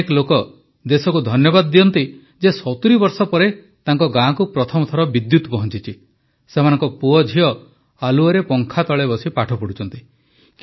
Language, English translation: Odia, Many people are thankful to the country that electricity has reached their village for the first time in 70 years, that their sons and daughters are studying in the light, under the fan